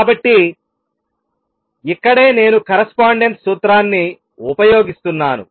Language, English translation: Telugu, So, this is where I am using the correspondence principle